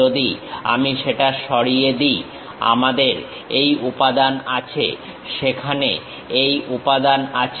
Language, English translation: Bengali, If I remove that, we have this material, material is there